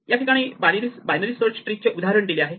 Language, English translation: Marathi, So, this is very much a generalization of binary search in the tree